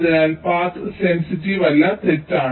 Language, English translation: Malayalam, so the path is not sensitizable and is false